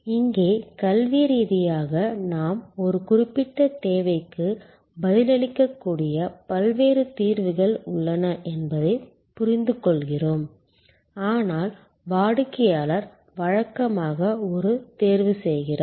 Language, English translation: Tamil, Here, academically we understand that there is a wide variety of solutions that are possible to respond to a particular need, but the customer usually makes a selection